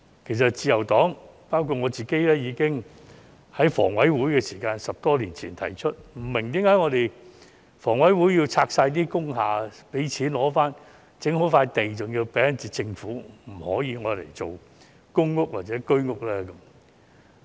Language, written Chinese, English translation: Cantonese, 其實，自由黨包括我本人，已在10多年前向房委會提出，為何工廈清拆後騰出的土地要歸還政府，而不可用於興建公屋或居屋。, In fact the Liberal Party including myself has questioned the Housing Authority more than 10 years ago as to why the sites vacated by demolished industrial buildings must be returned to the Government instead of being used for building public housing and Home Ownership Scheme flats